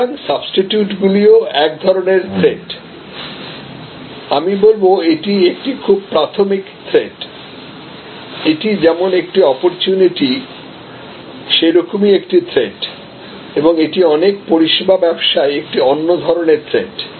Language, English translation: Bengali, So, substitution is also a threat, so I would say this is a very primary threat, this is an opportunity as well as a threat and this is another kind of threat in many service businesses